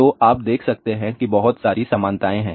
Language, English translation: Hindi, So, you can see there are lot of similarities are there